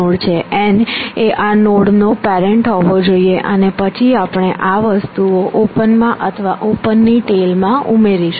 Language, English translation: Gujarati, n should be the parent of these nodes, and then we add this things to open or to the tail of open